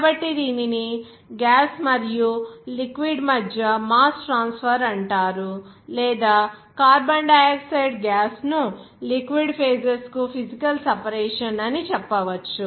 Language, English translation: Telugu, So, it is called mass transfer between gas and liquid or you can say that physical separation of the carbon dioxide gas to the liquid phases